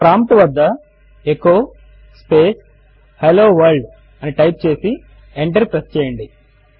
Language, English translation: Telugu, Type at the prompt echo space Hello World and press enter